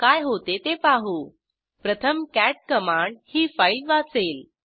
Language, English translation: Marathi, What will happen is * First the cat command will read the file